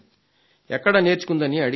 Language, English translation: Telugu, I asked where she learned it from